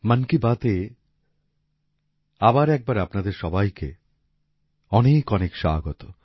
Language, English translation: Bengali, I extend a warm welcome to you all in 'Mann Ki Baat', once again